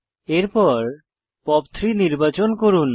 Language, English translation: Bengali, Next, select POP3